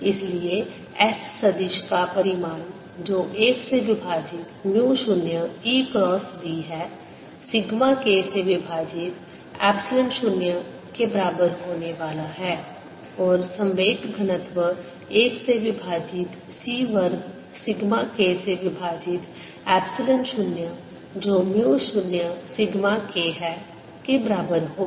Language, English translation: Hindi, therefore s vector magnitude, which is one over mu zero, e cross b, is going to be equal to sigma k over epsilon zero and momentum density is going to be one over c square